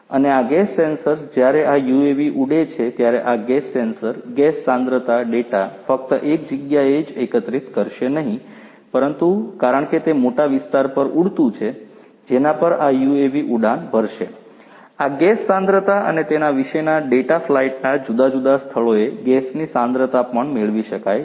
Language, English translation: Gujarati, And these gas sensors when this UAV flies these gas sensors will be collecting the gas concentration data not just in one place, but because it is flying over a you know over a large area over which this UAV is going to fly, this gas concentration and the data about the gas concentration in these different locations of flight could also be retrieved